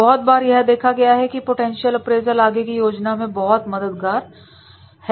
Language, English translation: Hindi, Many times it has been observed that is in the potential appraisal is very much helpful for succession planning